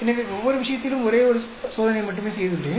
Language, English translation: Tamil, So I have done only one experiment in each case